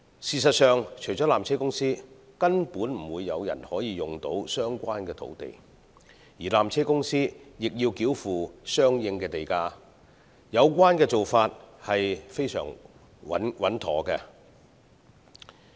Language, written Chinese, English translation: Cantonese, 事實上，除了纜車公司，根本不會有人可使用相關土地，而纜車公司亦須繳付相應地價，有關做法實非常穩妥。, As a matter of fact no party except PTC will find the Government land granted useful and for which the payment of land premium is also required . This is indeed a sound and appropriate approach